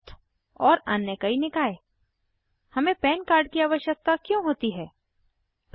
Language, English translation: Hindi, Trust and many other bodies Why do we need a PAN card